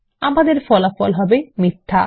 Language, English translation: Bengali, The result we get is FALSE